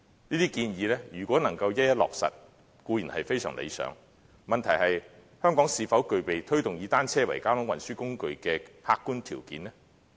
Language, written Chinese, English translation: Cantonese, 這些建議如能一一落實，固然非常理想，問題是香港是否具備推動以單車為交通運輸工具的客觀條件呢？, These proposals if implemented are certainly most ideal . The question is Does Hong Kong have the objective conditions to promote designating bicycles as a mode of transport?